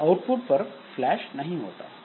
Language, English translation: Hindi, So, it is not flushed to the output